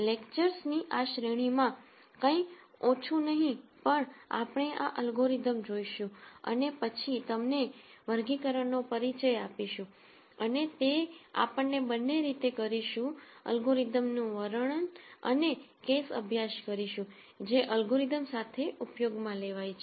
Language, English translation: Gujarati, None the less in this series of lectures we will look at these algorithms and then give them a classification flavour and that would come through both the way we de scribe the algorithm and also the case studies that are used with the algorithms